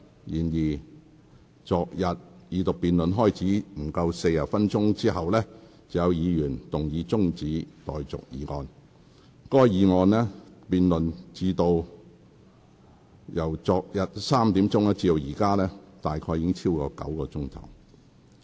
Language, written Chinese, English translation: Cantonese, 然而，昨天二讀辯論開始了約40分鐘後，便有議員動議中止待續議案，該議案辯論於昨天下午3時開始，至今已進行超過9小時。, However some 40 minutes after the Second Reading debate started yesterday a Member moved an adjournment motion the debate on which had lasted for more than nine hours since 3col00 pm yesterday